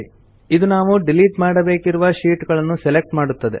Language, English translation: Kannada, This selects the sheets we want to delete